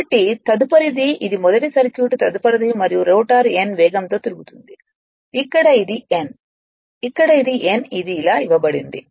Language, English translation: Telugu, Next one is and rotor is rotating with a speed of n here it is n right, here it is n it is given like this